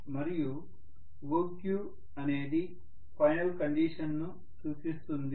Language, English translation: Telugu, And whatever is OQ, that represents the final condition